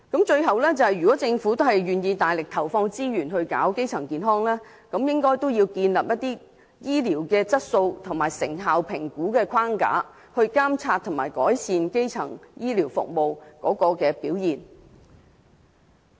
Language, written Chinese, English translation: Cantonese, 最後，如果政府願意大力投放資源做好基層醫療，便應該建立醫療質素和成效評估框架，以監察和改善基層醫療服務的表現。, Lastly if the Government is willing to invest substantial resources in primary health care a quality and effectiveness evaluation framework should be established for monitoring and improving the quality of primary health care